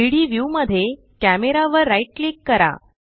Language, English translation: Marathi, Right click Camera in the 3D view